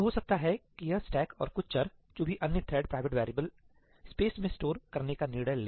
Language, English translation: Hindi, So, maybe it might decide to store the stack and some variables, whatever other thread private variables, in the space